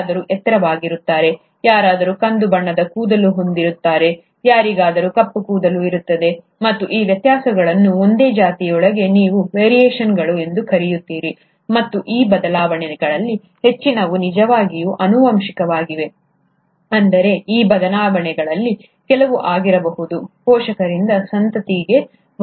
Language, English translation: Kannada, Somebody will be taller, somebody would have brown hair, somebody would have black hair, and these differences, within the same species is what you call as variations, and many of these changes are actually heritable, which means, some of these changes can be passed on from the parents to the offspring